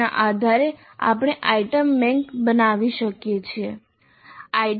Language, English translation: Gujarati, So the managing based on that we can create an item bank